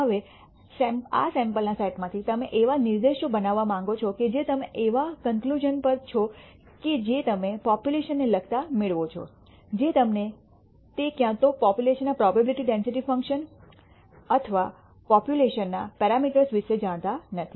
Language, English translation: Gujarati, Now from this sample set you want to make inferences which are conclusions that you derive regarding the population itself, which you do not know its either the probability density function of the population or the parameters of the population